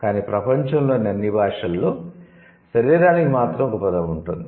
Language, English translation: Telugu, But at least all languages in the world would have a word for body